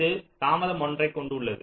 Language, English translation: Tamil, this has a delay of one